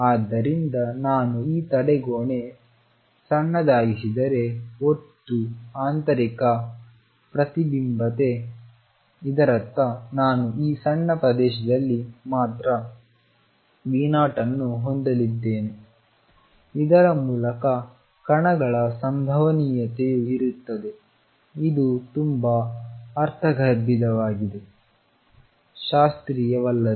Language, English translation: Kannada, So, just like in total internal reflection if I make this barrier small; that means, I have V 0 only in this small region again there will be a probability of particle going through this is very countering intuitive very non classical